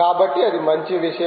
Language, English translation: Telugu, so thats a good thing